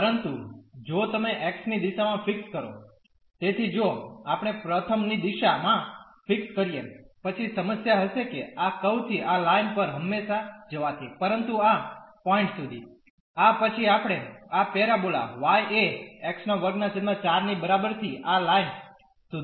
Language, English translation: Gujarati, But, if you first fix in the direction of x; so, if we first fix in the direction of x, then the problem will be that going from this curve to the line always, but up to this point; next to this we will be going from this parabola y is equal to x square by 4 to that line